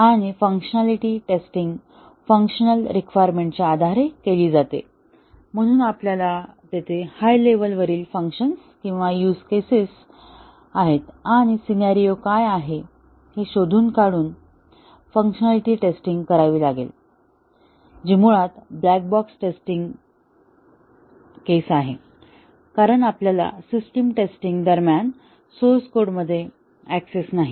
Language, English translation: Marathi, And the functionality tests are done based on the functional requirements, so we find out what are the high level functions there or the huge cases and what are the scenarios and then we do the functionality test, which are basically black box test cases, because we do not have access to the source code during system testing